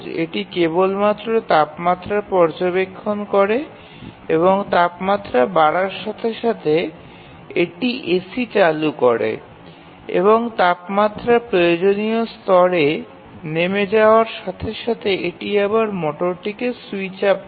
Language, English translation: Bengali, The task is very simple it just needs to monitor the temperature and as soon as the temperature rises it turns on the AC and as the temperature falls to the required level it again switches up the motor